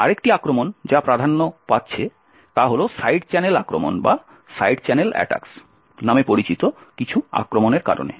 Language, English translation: Bengali, Another attack which is gaining quite importance is due to something known as Side Channel Attacks